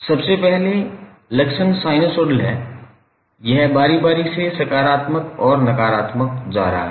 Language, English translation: Hindi, Because the first the characteristic is sinusoidal, it is alternatively going positive and negative